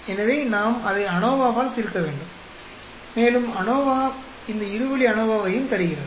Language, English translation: Tamil, So we have to solve it by ANOVA and ANOVA also gives this two way ANOVA